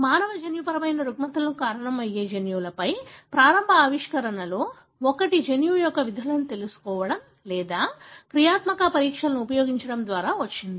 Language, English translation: Telugu, One of the initial discoveries on genes that are causing human genetic disorders have come from understanding the, knowing the functions of the gene or using functional assays